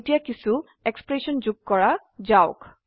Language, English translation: Assamese, Now let us add some expressions